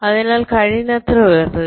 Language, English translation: Malayalam, so bring it as much up as possible